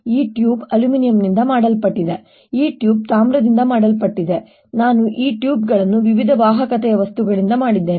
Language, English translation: Kannada, this tube is made of aluminum and this tube is made of copper, so that i have these tubes made of material of different conductivity